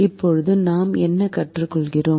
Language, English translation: Tamil, now what do we learn